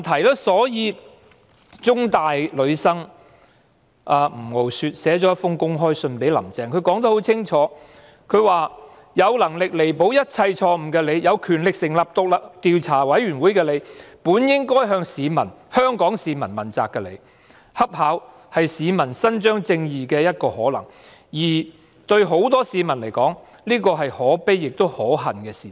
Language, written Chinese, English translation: Cantonese, 香港中文大學的女學生吳傲雪向"林鄭"撰寫了一封公開信，信中清楚指出："有能力彌補一切錯誤的你、有權力成立調查委員會的你、本應該向香港市民問責的你，恰巧是市民伸張正義的一個可能，而對很多市民而言，這是可悲且可恨的事實。, Miss NG Ngo - suet a female student of The Chinese University of Hong Kong states clearly in an open letter to Carrie LAM It is you who have the ability to make up for all your mistakes it is you who have the power to set up a commission of inquiry and it is you who should have been accountable to Hong Kong citizens . It so happens that citizens may achieve justice and for many citizens this is a sad and hateful fact